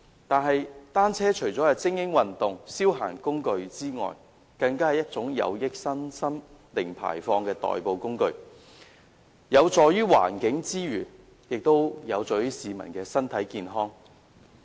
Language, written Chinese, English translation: Cantonese, 但是，單車除了是精英運動及消閒工具之外，更是一種有益身心及"零排放"的代步工具，有助於環境之餘，亦有助於市民的身體健康。, However apart from being an equipment of elite sport and a tool for recreation bicycles are also a zero - emission mode of transport bringing health benefits contributing to the environment and also to the peoples health